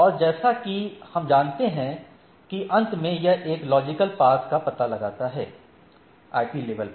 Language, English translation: Hindi, Finally, what we will what we know that it finds a logical path; that is, at the IP level